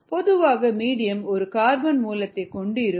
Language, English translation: Tamil, in general, a medium contains a carbon source